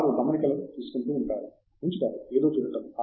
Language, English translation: Telugu, They keep taking notes, they keep looking at something